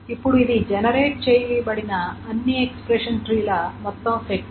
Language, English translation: Telugu, So this is the total set of all the expression trees that are generated